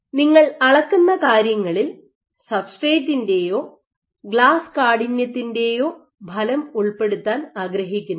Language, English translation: Malayalam, So, you do not want to incorporate the effect of substrate or glass stiffness on what you are measuring